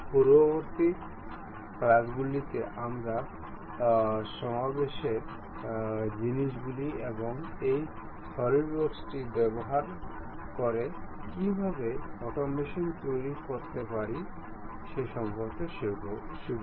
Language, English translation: Bengali, In the next classes, we will learn about assembly things and how to make automation using this solid works